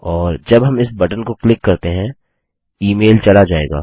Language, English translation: Hindi, And when we click this button, the email will send